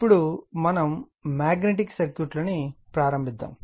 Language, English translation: Telugu, Now, we will start Magnetic Circuits right